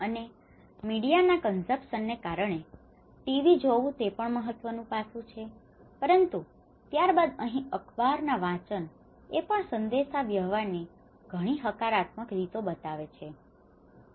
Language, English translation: Gujarati, And because media consumption, TV watching is also an important aspect but then here the newspaper reading have shown much more positive ways of communication